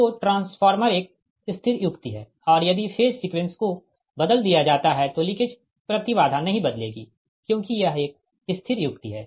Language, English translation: Hindi, so transformer is a static device and if the phase sequence is changed, leakage impedance will not change because it's a static device